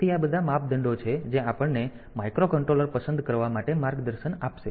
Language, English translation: Gujarati, So, these are the criteria that will guide us to choose the microcontroller